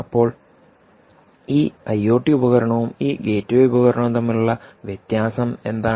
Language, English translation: Malayalam, ok, now, what is the difference between this i o t device and this gateway device